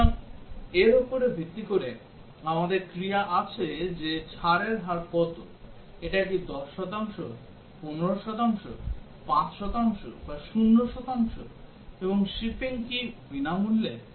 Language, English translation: Bengali, So, based on this, we have the actions that what is the discount rate, is it 10 percent, 15 percent, 5 percent or 0 percent; and also is the shipping free